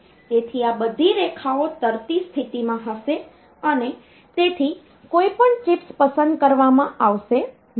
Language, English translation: Gujarati, So, all these lines will be in a floating state so none of the chips will get selected